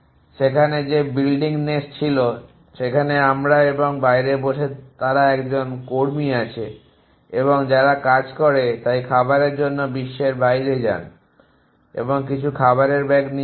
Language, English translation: Bengali, There the building nest that were there is the we and sitting out they an there is worker and who job is so go out to in the world for verge in food and get some food bag essentially